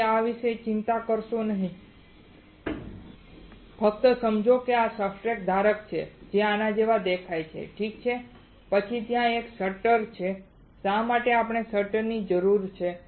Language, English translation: Gujarati, So, do not worry about this just understand that there is a substrate holder which looks like this alright, then there is a there is a shutter why we need shutter